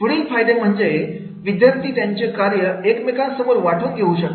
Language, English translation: Marathi, Further advantages are the students can share work, right